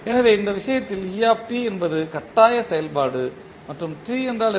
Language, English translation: Tamil, So, in this case et is the forcing function and what is t